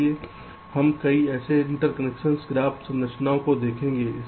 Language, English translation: Hindi, so we shall see several such interconnection graph structure